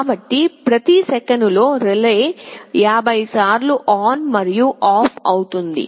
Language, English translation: Telugu, So, in every second the relay will be switching ON and OFF 50 times